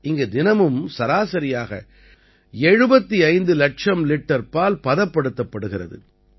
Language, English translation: Tamil, On an average, 75 lakh liters of milk is processed here everyday